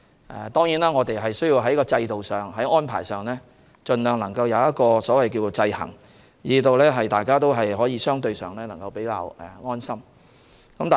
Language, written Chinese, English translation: Cantonese, 當然，我們需要在制度上、安排上盡量做到制衡，令大家相對感到安心。, It is certainly necessary for us to put in place checks in the system and the arrangements so as to provide a degree of assurance to the public